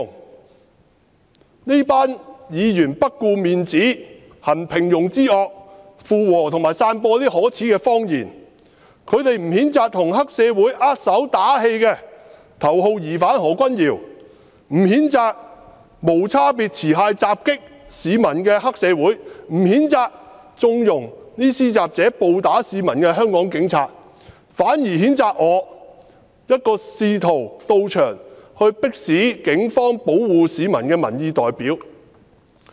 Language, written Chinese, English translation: Cantonese, 這幾位議員不顧面子，行平庸之惡，附和及散播可耻的謊言。他們不譴責跟黑社會握手打氣的頭號疑犯何君堯議員，不譴責無差別持械襲擊市民的黑社會，不譴責縱容施襲者暴打市民的香港警察，反而譴責我，一個試圖到場迫使警方保護市民的民意代表。, They do not condemn Dr Junius HO the top suspect who shook hands with triad members and cheered them up; do not condemn the triads for making indiscriminately armed attacks on the public and do not condemn the Hong Kong Police for condoning the thugs indiscriminate and violent attacks on the public; instead they condemn me a representative of public opinion who arrived at the scene trying to force the Police to protect the public